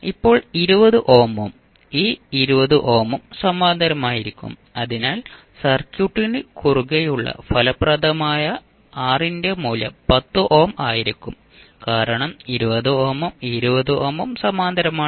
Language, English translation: Malayalam, So, now 20 ohm and this 20 ohm both would be in parallel, so what we can say that the value of effective R which is across the circuit will be 10 ohm because 20 ohm and 20 ohm are in parallel now